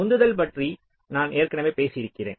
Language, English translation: Tamil, so here the motivation i have already talked about earlier also